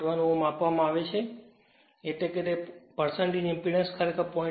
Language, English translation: Gujarati, 1 that is that means, percentage impedance actually given 0